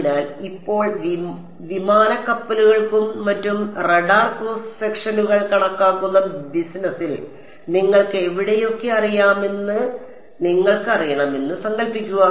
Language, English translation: Malayalam, So, now, let us imagine that you know where you know in the business of calculating radar cross sections for aircraft ships and so on ok